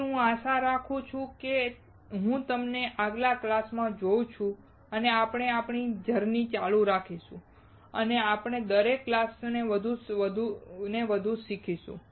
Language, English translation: Gujarati, So, I hope I see you in the next class and we will keep our journey on and we learn more with every class